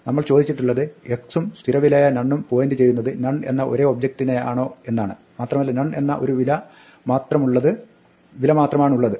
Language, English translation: Malayalam, We were asking whether x and the constant none point to the same none object and there is only one value none